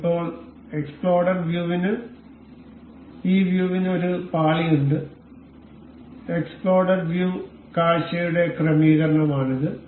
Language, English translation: Malayalam, Now, this exploded view have a pane, and these are the settings for that the exploded view